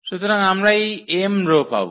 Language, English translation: Bengali, So, we will get these m rows